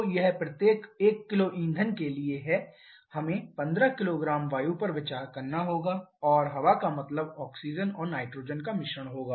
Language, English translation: Hindi, So, it is for every 1 kg of fuel we have to consider 15 kg of air and air means a mixture of oxygen and nitrogen